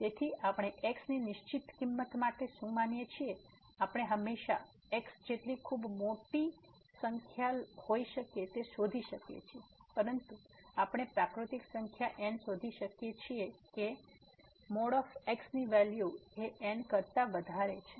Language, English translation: Gujarati, So, what we consider for a fixed value of , we can always whatever as could be very large number, but we can find a natural number such that the absolute value of this is greater than